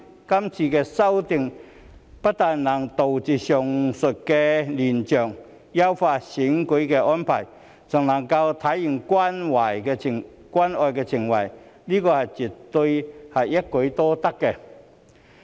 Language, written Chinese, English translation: Cantonese, 今次修訂不但能杜絕上述亂象，優化選舉安排，還能體現關愛情懷，這絕對是一舉多得。, Not only will this amendment exercise put an end to the aforesaid chaotic scenes and improve the electoral arrangements but it will also show our care and concern . This is certainly killing two birds with one stone